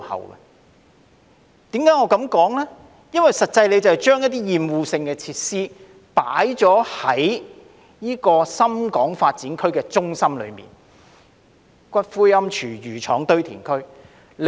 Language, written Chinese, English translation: Cantonese, 我這樣說是因為政府將一些厭惡性設施設在深港發展區的中心位置，例如骨灰龕、廚餘廠、堆填區等。, I make this remark because the Government has placed obnoxious facilities such as columbaria food waste treatment plants and landfills at the centre of the Shenzhen - Hong Kong Development Areas